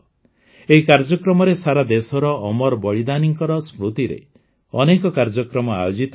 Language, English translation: Odia, Under this, many programs will be organized across the country in the memory of our immortal martyrs